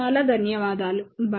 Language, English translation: Telugu, Thank you very much, bye